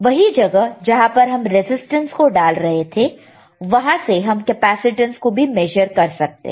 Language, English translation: Hindi, The same place where we are putting right now which is a resistance which is ohms you can measure capacitance as well, all right